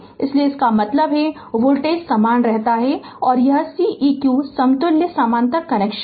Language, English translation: Hindi, So; that means, voltage remain same and this is Ceq equivalent for parallel connection